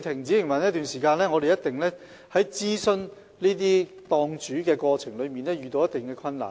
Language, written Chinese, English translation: Cantonese, 這樣，我們一定要諮詢檔主，過程中也會遇到一定困難。, Therefore we must consult the stall owners and difficulties will be encountered in the process